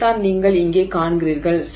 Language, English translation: Tamil, So, you will see something like this